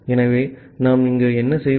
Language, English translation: Tamil, So, what we do here